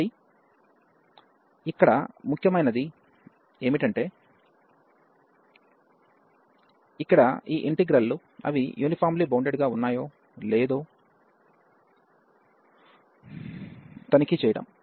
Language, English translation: Telugu, So, what is important here the important is to check that these integrals here, they are uniformly bounded